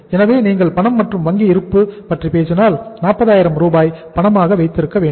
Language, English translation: Tamil, So if you talk about the cash and balances, bank balance we need to keep say for example 40000 as a cash